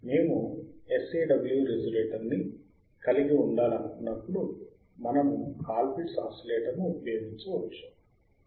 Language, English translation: Telugu, W which when we want to have sawSAW resonator, we can use Colpitt’s oscillator